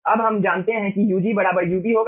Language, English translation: Hindi, so we will be finding out ug by ub